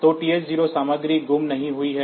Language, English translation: Hindi, So, TH 0 content is not lost